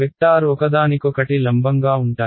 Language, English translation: Telugu, Their vectors are perpendicular to each other right